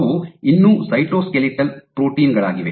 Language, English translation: Kannada, So, they are still cytoskeletal proteins